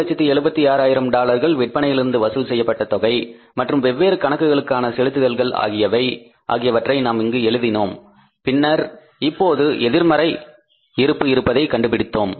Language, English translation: Tamil, Then we put here the collections from the sales which was $376,000 and payment for the different accounts and then finally we found out that there is now the negative balance